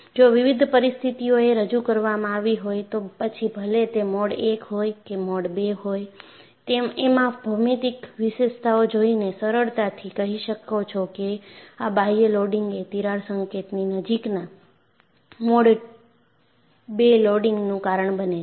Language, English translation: Gujarati, If different situations are presented, whether it is mode 1 or mode 2, by looking at the geometric feature, you can easily say the external loading causes a mode 2 loading near the crack tip